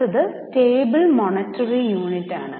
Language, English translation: Malayalam, Next is stable monetary unit